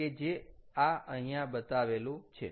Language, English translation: Gujarati, so this is what is shown here in this